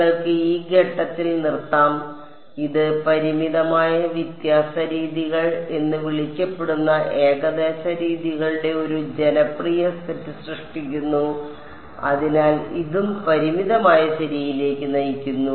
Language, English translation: Malayalam, You could stop at this point and this gives rise to a popular set of approximate methods which are called finite difference methods; so, this also leads to finite ok